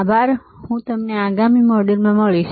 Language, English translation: Gujarati, Thank you and I will see you next model